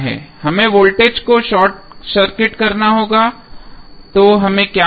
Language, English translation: Hindi, We have to short circuit the voltage so what we will get